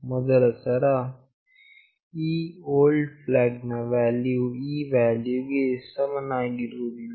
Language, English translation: Kannada, For the first time this old flag value was not equal to this value